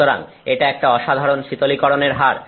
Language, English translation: Bengali, So, that is some phenomenal cooling rate